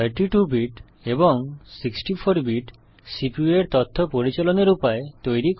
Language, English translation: Bengali, The terms 32 bit and 64 bit refer to the way the CPU handles information